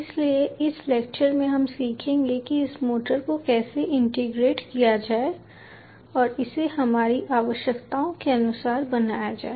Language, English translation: Hindi, ok, so in this lecture we will learn how to integrate this motors and make it perform according to our requirements